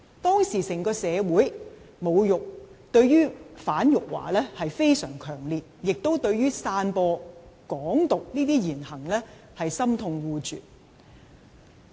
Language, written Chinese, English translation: Cantonese, 當時，整個社會對"反辱華"非常強烈，亦對於散播"港獨"言行心痛惡絕。, At the time society as a whole reacted vehemently to anti - insulting - China and held deep hatred against the speeches and acts spreading Hong Kong independence